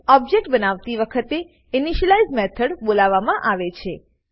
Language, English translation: Gujarati, An initialize method is called at the time of object creation